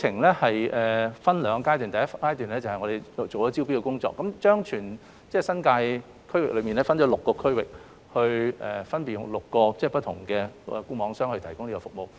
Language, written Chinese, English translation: Cantonese, 計劃分兩個階段，第一階段是招標工作，將全新界分為6個區域，分為6個項目邀請固網商參與招標。, There are two stages under this project and the first stage is tendering . The New Territories as a whole is divided into six zones and for these six projects FNOs have been invited to participate in the tender exercise